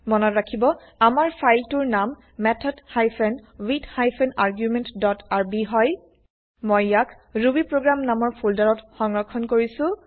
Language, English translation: Assamese, Please note that our filename is method hyphen with hyphen argument dot rb I have saved this file also inside the rubyprogram folder